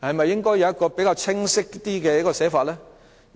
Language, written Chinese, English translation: Cantonese, 應否有比較清晰的寫法呢？, Should it be spelt out more clearly?